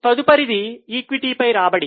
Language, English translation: Telugu, The next one is return on equity